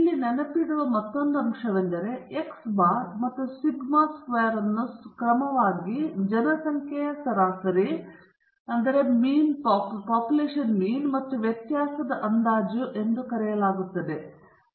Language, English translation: Kannada, Another thing to remember here is x bar and s squared are called as the estimators of the population mean and variance respectively